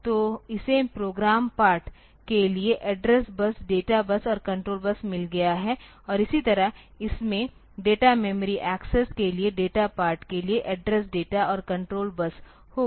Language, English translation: Hindi, So, it has got the address bus data bus and control bus for program for the program part and similarly, it will have address data and control bus for the data part for the data memory access